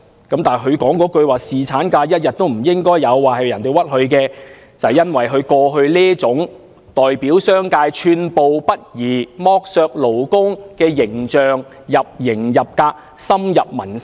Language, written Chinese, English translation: Cantonese, 他表示那句"侍產假一天也不應該有"是被人冤枉的，但即使如此，也是由於他過去這種代表商界寸步不離，剝削勞工的形象已入型入格，深入民心。, He argued that he had been framed as he had never said not even one day of paternity leave should be provided . But even so he has been wronged because his image as an uncompromising representative of the business sector who exploits employees is very vivid and deep - rooted in peoples minds